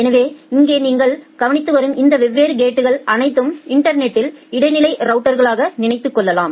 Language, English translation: Tamil, So, all these different gates that you are observing here you can think of a intermediate routers of the network